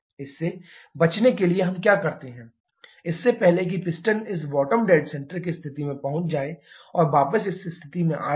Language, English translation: Hindi, To avoid that what we do, before the piston reaches this bottom dead centre position and going back to the diagram this position